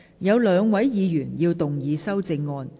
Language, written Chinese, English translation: Cantonese, 有兩位議員要動議修正案。, Two Members will move amendments to this motion